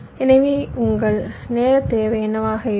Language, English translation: Tamil, so what will be the your timing requirement